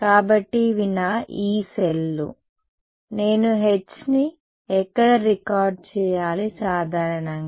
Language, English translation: Telugu, So, these are my Yee cells where do I record H z typically